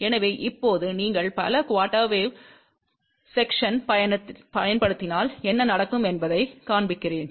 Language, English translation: Tamil, So, now, let me show you if you use multiple quarter wave sections what can happen